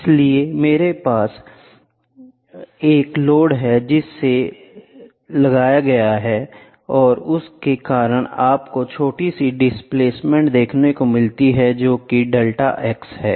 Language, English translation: Hindi, So, I here you have a load which is getting applied the and because of that there is your small displacement which is delta x, ok